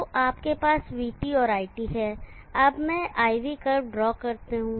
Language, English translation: Hindi, So you have VT and you have IT, let me draw the IV curve